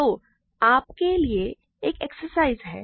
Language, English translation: Hindi, So, this is an exercise for you